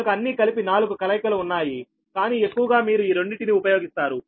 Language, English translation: Telugu, so altogether four such combinations are there and all these four combinations are your